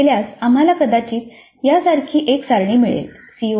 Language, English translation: Marathi, So if you do that then we may get a table like this